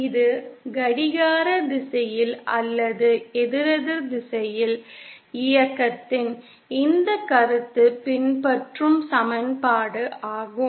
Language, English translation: Tamil, This is the equation from which this concept of clockwise or anticlockwise movement follows